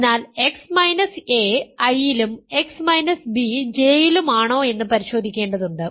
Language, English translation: Malayalam, So, we need to check x minus a is in I and x minus b is in J